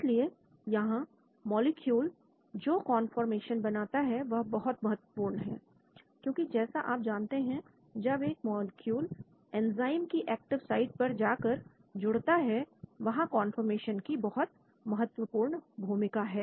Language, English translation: Hindi, So here conformations become very important the molecule that occupies; because as you know when the molecule goes and binds into an active site of an enzyme, the conformation plays a very important role